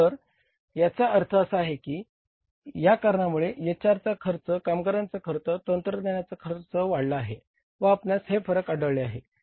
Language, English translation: Marathi, So it may be because of that reason that the HR cost has gone up, the workers cost, the say technician's cost has gone up and this variance has been seen